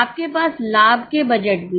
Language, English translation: Hindi, You also have profit budgets